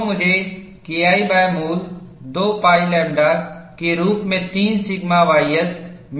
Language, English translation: Hindi, So, I get K 1 by root of 2 pi lambda as root of 3 sigma ys